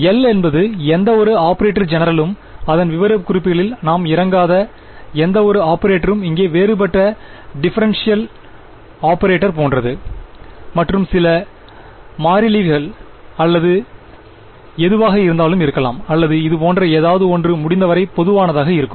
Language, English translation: Tamil, L is any operator general we are not getting into the specifics of it can be any operator any like a like a differential operator over here plus some constants or whatever or it would be something simply something like this will keep it as general as possible